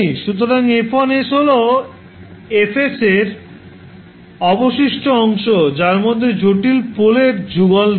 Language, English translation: Bengali, So, F1s is the remaining part of Fs, which does not have pair of complex poles